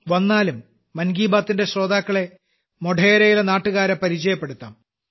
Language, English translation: Malayalam, Let us also introduce the listeners of 'Mann Ki Baat' to the people of Modhera